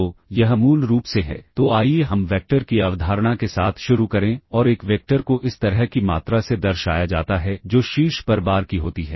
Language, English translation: Hindi, So, this basically is, so let us start with the concept of vectors and a vector is denoted by the quantities like this that is of the bar on the top